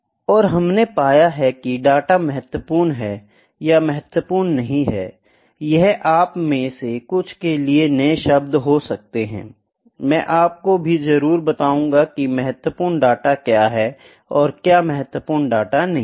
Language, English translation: Hindi, And we have found that the data is significant or not significant; this might be in new terms for some of you, I will definitely explain what is significant and what is not significant data